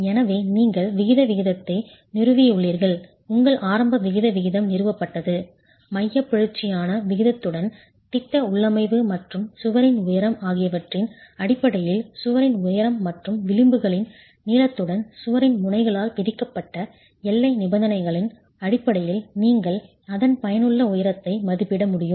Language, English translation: Tamil, So, you have an eccentricity ratio established, your initial eccentricity ratio established with the eccentricity ratio, with the plan configuration and the elevation of the wall based on the boundary conditions imposed by the ends of the wall along the height and the edges of the wall in length you will be able to estimate what the effective height of the wall is, what the effective length of the wall is and the effective thickness of the wall